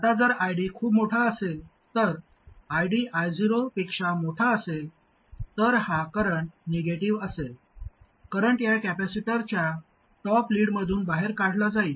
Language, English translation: Marathi, Now if ID is too large, that is, ID is larger than I 0, then this current will be negative, current will be drawn out of the top plate of this capacitor